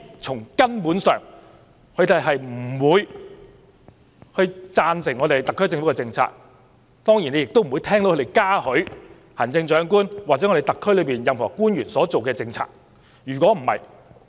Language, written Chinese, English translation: Cantonese, 從根本上，他們當然不會贊同特區政府的政策，也不會嘉許行政長官或特區內任何官員所制訂的政策。, So they will certainly not in the most fundamental sense approve the policies of the SAR Government . Nor will they laud the Chief Executive or any officials of the SAR Government for the policies formulated by them